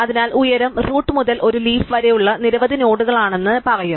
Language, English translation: Malayalam, So, we will say that the height is a number of nodes from the root to a leaf